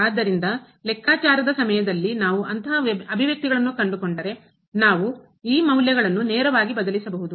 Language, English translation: Kannada, So, if we find such expressions during the calculations we can directly substitute these values